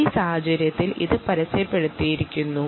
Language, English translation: Malayalam, in this case it is simply advertised